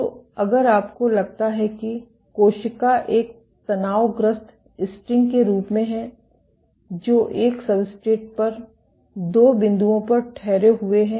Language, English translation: Hindi, So, if you think the cell as a tensed string, which is anchored at two points on a substrate